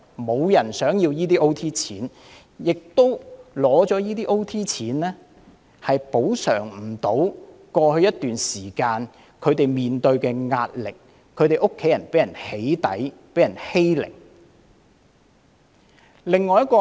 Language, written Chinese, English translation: Cantonese, 沒有人想得到這些加班津貼，而這些津貼亦無法補償過去一段時間他們面對的壓力，以及其家人被"起底"和欺凌的苦況。, Nobody wanted the overtime work allowance which can barely compensate for the pressure they faced in the past period of time and the doxxing and bullying their families had to suffer